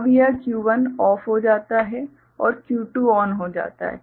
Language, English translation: Hindi, Now this Q1 becomes OFF and Q2 becomes ON